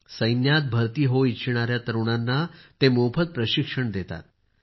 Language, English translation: Marathi, He imparts free training to the youth who want to join the army